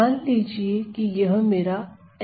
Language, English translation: Hindi, So, let us say this is my envelope